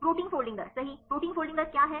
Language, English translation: Hindi, Protein folding rate right what is a protein folding rates